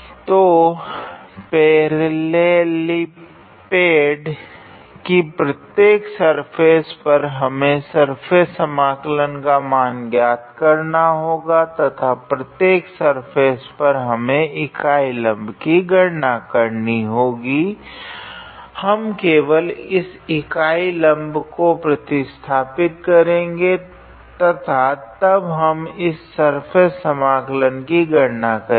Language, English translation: Hindi, So, on every surface of this parallelepiped, we have to evaluate the surface integral and on every surface we have to calculate this unit normal and for every surface, we just substitute that unit normal and then we do the calculation of this surface integral